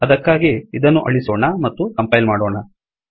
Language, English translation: Kannada, For this, lets get rid of these, lets compile this